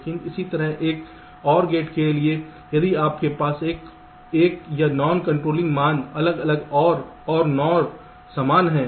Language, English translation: Hindi, but similarly, for an or gate, if you have an or the non controlling values are different, or an or same